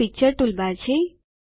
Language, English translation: Gujarati, This is the Picture toolbar